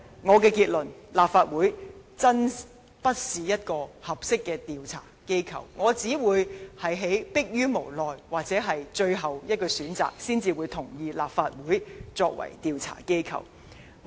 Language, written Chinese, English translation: Cantonese, 我的結論是，立法會真的並非合適的調查機構，我只會在逼於無奈或最後的選擇，才會同意以立法會作為調查機構。, My conclusion is that the Council is not an appropriate investigative body . I will not agree to making the Council an investigative body unless I have no other alternatives . The main function of the Legislative Council is to monitor the work of the Government and to enact laws